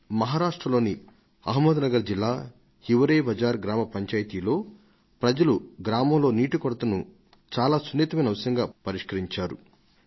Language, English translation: Telugu, I was recently told that in Ahmednagar district of Maharashtra, the Hivrebazaar Gram Panchayat and its villagers have addressed the problem of water shortage by treating it as a major and delicate issue